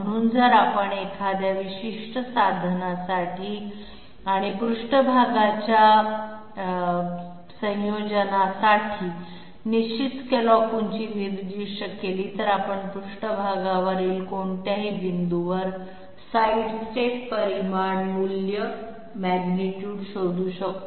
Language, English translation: Marathi, So if we specify a definite scallop height for a particular tool and surface combination, we can find out the sidestep magnitude at any point on the surface